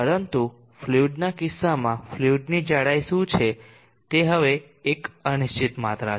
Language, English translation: Gujarati, But in the case of the fluid what is the thickness of the fluid, now that is an uncertain quantity